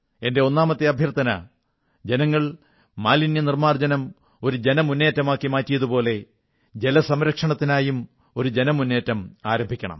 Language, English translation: Malayalam, My first request is that just like cleanliness drive has been given the shape of a mass movement by the countrymen, let's also start a mass movement for water conservation